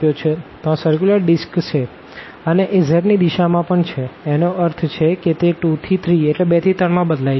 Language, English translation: Gujarati, So, that is the disc circular disc and then we have in the direction of z as well; that means, it varies from 2 to 3